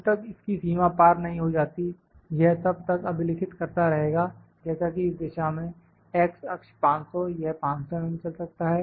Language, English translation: Hindi, It will keep recording unless it limits exceeds like you know in this direction, the x direction 500 is the length it can move 500 mm